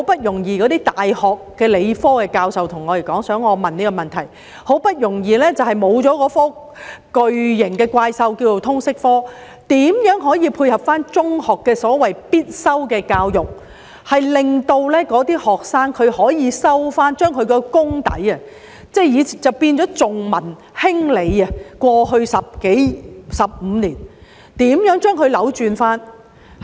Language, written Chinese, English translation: Cantonese, 那些大學的理科系教授想我提出這個問題，現在好不容易沒有了那個叫作"通識科"的巨型怪獸，那麼如何可以配合中學的所謂"必修的教育"，令那些學生可以修讀某些科目，加厚他們的理科功底，扭轉過去15年重文輕理的情況？, Those science professors of local universities want me to ask this question Now that the giant monster called Liberal Studies has been removed after much effort how can we make some adjustments to the so - called compulsory education in secondary schools so that students can take certain subjects to strengthen their science background with a view to reversing the situation where arts were overemphasized compared with science in the past 15 years?